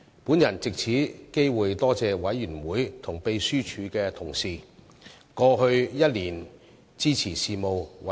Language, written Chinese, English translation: Cantonese, 我藉此機會感謝委員和秘書處同事在過去一年支持事務委員會的工作。, I would take this opportunity to thank members and colleagues in the Secretariat for their support to the work of the Panel over the past year